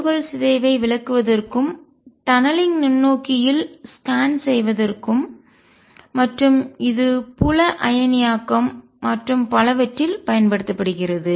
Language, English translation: Tamil, And this has been used to explain alpha particle decay and to make scan in tunneling microscope use it in field ionization and so on